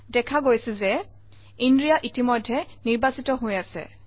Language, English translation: Assamese, Okay, so inria is already selected